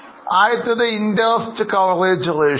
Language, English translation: Malayalam, The first one is interest coverage ratio